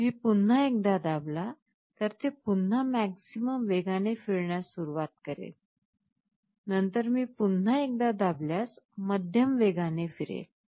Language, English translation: Marathi, I press once more, it will again start rotating in the maximum speed, then I press once more medium speed